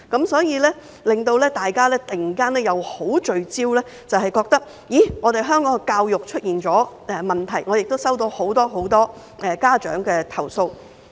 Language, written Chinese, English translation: Cantonese, 所以，令大家突然十分聚焦並感到香港教育出現問題，我亦收到很多很多家長的投訴。, That is why all of a sudden people put a lot of focus on the education of Hong Kong feeling that something has gone wrong with it . I have also received complaints from many many parents